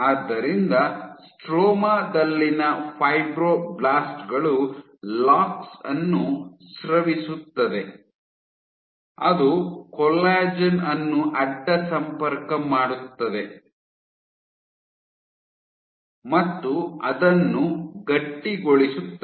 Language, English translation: Kannada, So, the idea was the fibroblasts in the stroma would secrete lox which will cross link the collagen and make it stiffer